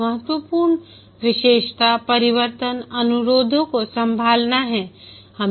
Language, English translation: Hindi, One important characteristic is to handle change requests